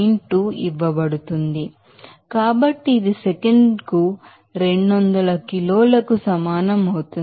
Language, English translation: Telugu, 2 into 1000 so, that will be equal to 200 kg per second